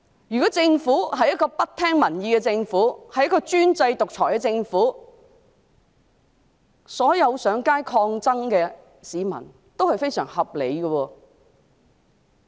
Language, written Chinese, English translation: Cantonese, 如果我們所面對的是一個不聽民意、專制獨裁的政府，那麼市民上街抗爭是非常合理的。, If we are facing a government that does not listen to public opinions being despotic and autocratic it is then most reasonable for the people to take to the streets in resistance